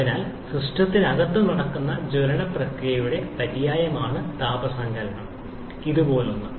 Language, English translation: Malayalam, So, heat addition is synonymous to the combustion process that is going on inside the system something like this one